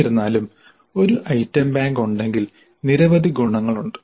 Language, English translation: Malayalam, However there are several advantages in having an item bank